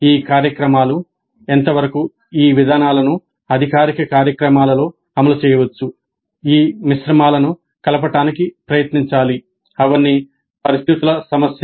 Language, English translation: Telugu, Now what is the extent to which these programs, these approaches can be implemented, formal, informal programs, in which mix these approaches should be tried, all are situational issues